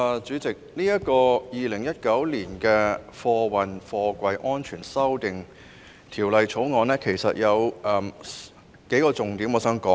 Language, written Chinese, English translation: Cantonese, 主席，就《2019年運貨貨櫃條例草案》，我想討論數個重點。, President regarding the Freight Containers Safety Amendment Bill 2019 the Bill there are a few main points I would like to discuss